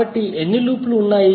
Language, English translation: Telugu, So how many loops are there